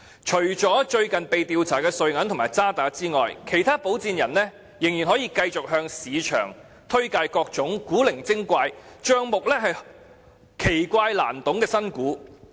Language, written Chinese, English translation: Cantonese, 除了最近被調查的瑞銀及渣打外，其他保薦人仍然可以繼續向市場推介各種古靈精怪、帳目新奇難懂的新股。, Apart from UBS AG and the Standard Chartered which are under investigation lately other sponsors are still free to recommend to investors all sorts of new shares which are weird and bizarre though the accounts of which are full of strange and inscrutable details